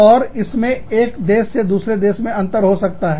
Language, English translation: Hindi, And, that will vary from, country to country